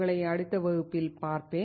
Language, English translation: Tamil, I will see you in the next class